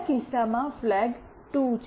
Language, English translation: Gujarati, In the next case, the flag is 2